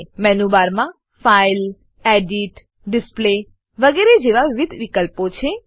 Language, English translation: Gujarati, In the menu bar, there are various options like File, Edit, Display, etc